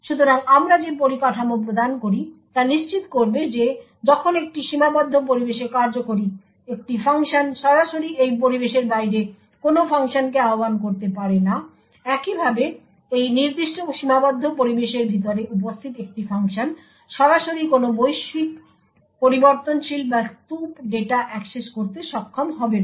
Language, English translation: Bengali, So the infrastructure that we provide would ensure that when a function that a function executing in this confined environment cannot directly invoke any function outside this environment, similarly a function present inside this particular confined environment would not be able to directly access any global variable or heap data present outside this confined area